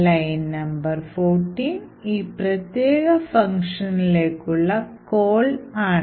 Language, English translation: Malayalam, So, line number 14 corresponds to the call to this particular function